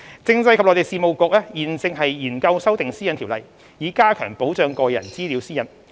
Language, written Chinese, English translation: Cantonese, 政制及內地事務局現正研究修訂《私隱條例》，以加強保障個人資料私隱。, CMAB is contemplating amendments to PDPO with a view to strengthening the protection of personal data privacy